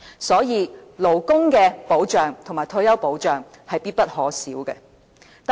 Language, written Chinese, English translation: Cantonese, 所以，勞工保障及退休保障是必不可少的。, Consequently labour protection and retirement protection are indispensable